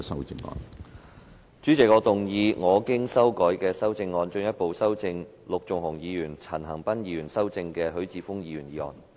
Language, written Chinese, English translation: Cantonese, 主席，我動議我經修改的修正案，進一步修正經陸頌雄議員及陳恒鑌議員修正的許智峯議員議案。, President I move that Mr HUI Chi - fungs motion as amended by Mr LUK Chung - hung and Mr CHAN Han - pan be further amended by my revised amendment